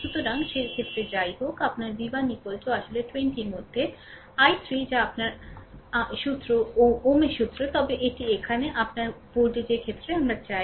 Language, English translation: Bengali, So, in that case anyway your ah v 1 is equal to actually 20 into i 3 that is your ohms law, but here we want in terms of your voltage